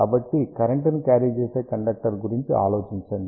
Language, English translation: Telugu, So, just think about same current carrying conductor